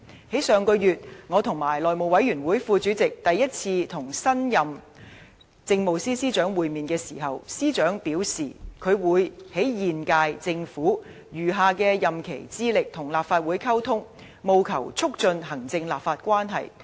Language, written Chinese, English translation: Cantonese, 在上個月，我和內務委員會副主席第一次與新任政務司司長會面時，司長表示，他會在現屆政府餘下任期致力與立法會溝通，務求促進行政立法關係。, When I and the House Committee Deputy Chairman met with the new Chief Secretary for Administration for the very first time last month the Chief Secretary for Administration said that he would seek to communicate with the Legislative Council in the remainder of the present Governments terms of office for the purpose of fostering executive - legislature relationship